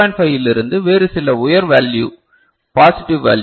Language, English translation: Tamil, 5 to some other higher value, the positive value